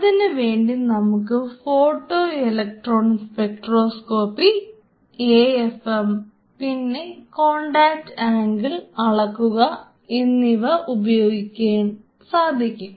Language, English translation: Malayalam, You can do an extra photoelectron spectroscopy you can do an AFM you can do a contact angle measurement analysis